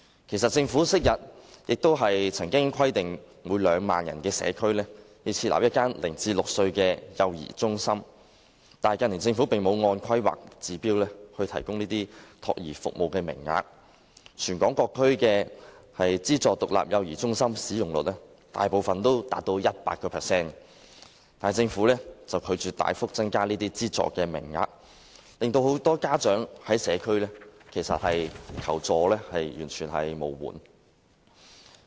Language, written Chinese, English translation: Cantonese, 其實，政府昔日亦曾規定每個2萬人的社區，設立一間0歲至6歲的幼兒中心，但近年政府並無按《規劃標準》提供託兒服務，全港各區的資助獨立幼兒中心使用率，大部分達到 100%， 但政府拒絕大幅增加資助名額，令社區中很多家長完全求助無門。, As a matter of fact the Government had previously specified that one child care centre for children between the age of zero to six should be provided for every 20 000 - member community but in recent years the Government has not provided child care services according to HKPSG . Most subsidized independent child care centres in various districts in Hong Kong have 100 % utilization rate . Yet the Government has refused to substantially increase the number of subsidized places consequently many parents in the community cannot find any help at all